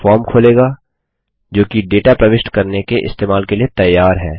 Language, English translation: Hindi, This opens the form which is ready for data entry use